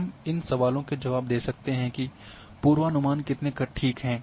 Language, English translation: Hindi, We can answer the questions how good are the predictions